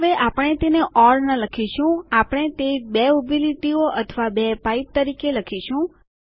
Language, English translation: Gujarati, Now we dont write it as or we write it as two horizontal lines or two pipes